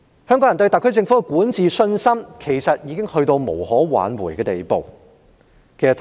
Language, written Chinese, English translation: Cantonese, 香港人對特區政府的管治信心，已經到了無可挽回的地步。, Hong Kong peoples confidence in the governance of the SAR Government has reached rock bottom and can hardly be restored